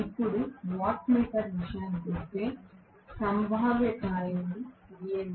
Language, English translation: Telugu, Now, as far as the watt meter is concerned let me draw the potential coil